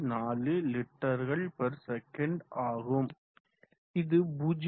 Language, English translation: Tamil, 0694 liters per second and which is 0